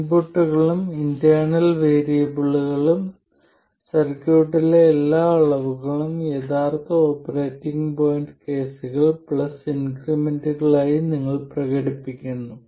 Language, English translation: Malayalam, You express every quantity in the circuit both inputs and internal variables as the original operating point cases plus increments